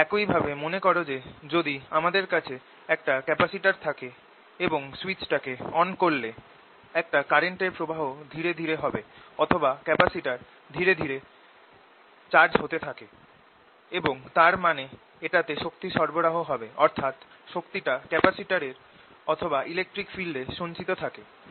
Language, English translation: Bengali, very similar to recall: if i have a capacitor and i turned a current on through a switch, the current builds up slowly, or the charge in the capacitor builds up slowly, and the process: i end up supplying energy to it, which we finally interpret as if its stored either in the capacitor or in the electric field that is there